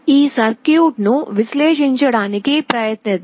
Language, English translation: Telugu, Let us try to analyze this circuit